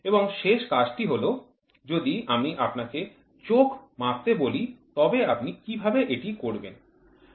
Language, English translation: Bengali, And the last assignment is if I want to measure your eye, right, how will I do it